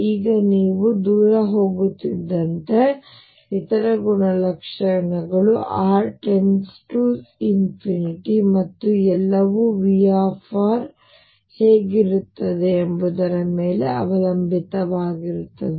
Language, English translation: Kannada, Now other properties as you go far away r tend into infinity and all that those will depend on what V r is like